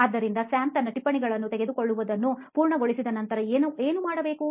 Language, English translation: Kannada, So what would be Sam doing after he completes taking down his notes, probably